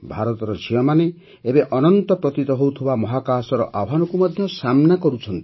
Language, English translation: Odia, The daughters of India are now challenging even the Space which is considered infinite